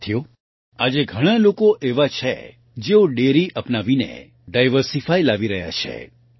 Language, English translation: Gujarati, Friends, today there are many people who are diversifying by adopting dairy